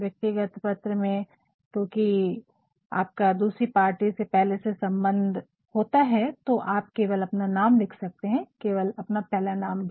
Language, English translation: Hindi, In a personal letter because you have had a personal relationship with the other party you can simply write your name, your first name as well